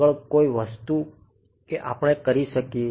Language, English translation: Gujarati, Any further thing, that we can do